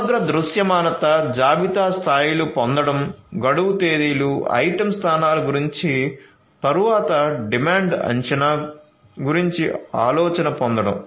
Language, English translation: Telugu, Getting comprehensive visibility inventory levels, getting idea about the expiration dates, item locations, then about the demand forecasting